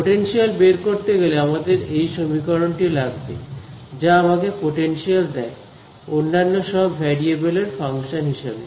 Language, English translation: Bengali, In order to find the potential, we have come to this expression over here which gives me the potential as a function of all the other variables